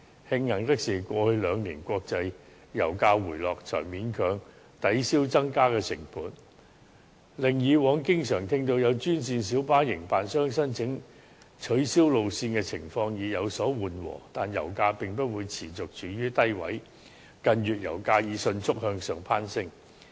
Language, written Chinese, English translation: Cantonese, 慶幸的是，過去兩年國際油價回落，這才勉強抵銷增加的成本，令以往經常聽到有專線小巴營辦商申請取消路線的情況有所緩和，但油價並不會持續處於低位，近月油價已迅速向上攀升。, It is fortunate that international oil prices have dropped over the past two years . This has barely offset the increased costs thereby alleviating the situation of operators of green minibuses applying for route cancellation which was a frequent practice in the past . However oil prices will not persistently stay at a low level